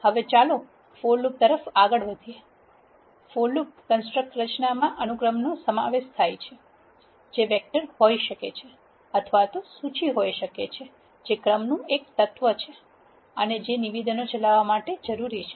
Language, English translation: Gujarati, Now let us move on to the for loop the structure of for loop construct comprises of a sequence which could be a vector or a list an iter which is an element of the sequence and the statements that are needed to be executed